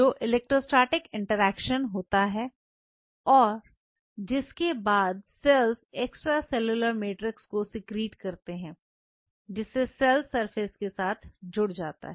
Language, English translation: Hindi, The electrostatic interaction which happens right, followed by an extracellular matrix secreted by the cell and leading to the attachment